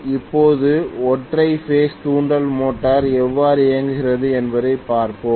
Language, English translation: Tamil, Now, let us try to look at how the single phase induction motor works